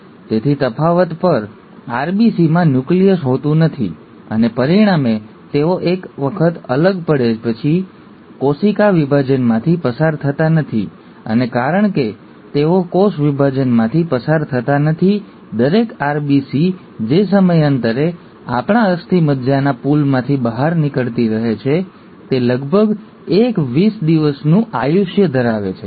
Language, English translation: Gujarati, So upon differentiation, the RBCs do not have nucleus, and as a result they do not undergo cell division once they have differentiated, and because they do not undergo cell division, each RBC which periodically keeps coming out of our bone marrow pool has a life span of about one twenty days